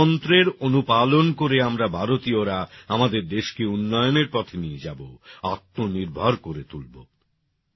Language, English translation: Bengali, Adhering to this mantra, we Indians will make our country developed and selfreliant